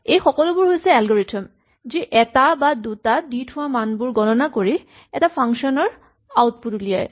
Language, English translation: Assamese, These are all algorithms, which compute values given one or more numbers they compute the output of this function